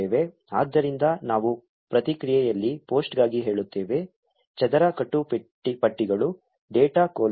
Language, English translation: Kannada, So, we say for post in response, square braces, data colon